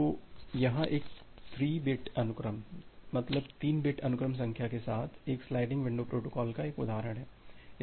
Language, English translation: Hindi, So, here is an example of a sliding window protocol with a 3 bit sequence number